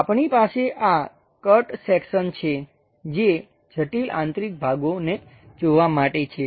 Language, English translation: Gujarati, Why we have these cut sections is to visualize complicated internal parts